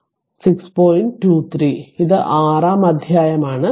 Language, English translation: Malayalam, 23 this is chapter 6